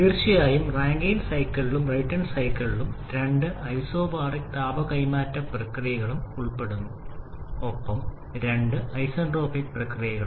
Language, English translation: Malayalam, Of course, both Rankine cycle and Brayton cycle involves two isobaric heat transfer processes and two isentropic processes